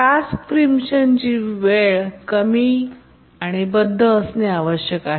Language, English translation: Marathi, The task preemption time need to be low and bounded